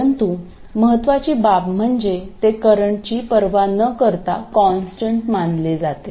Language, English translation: Marathi, But the important thing is that it is assumed to be a constant regardless of the value of current